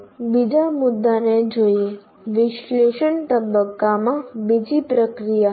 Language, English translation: Gujarati, Now let us look at another issue, another process in analysis phase